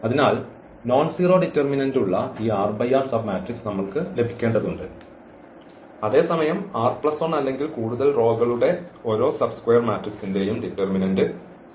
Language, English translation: Malayalam, So, we have to now get out of these given matrix r cross r submatrix which has the nonzero determinant whereas, the determinant of every square determinant or every square submatrix of r plus 1 or more rows is 0